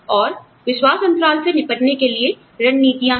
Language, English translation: Hindi, And, there are strategies, to deal with the trust gap